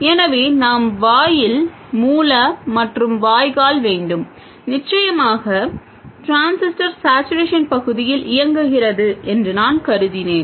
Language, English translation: Tamil, So, we will have gate source and drain and of course I have assumed that the transistor is operating in saturation region